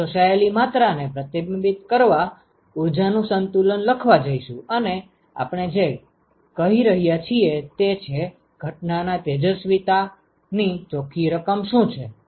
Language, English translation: Gujarati, We are going to write an energy balance to reflect the amount that is absorbed all we are saying is, what is the net amount of incident irradiation